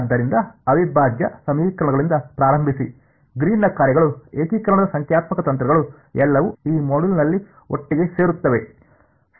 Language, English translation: Kannada, So, starting with integral equations, Green’s functions numerical techniques of integration, everything comes together in this module alright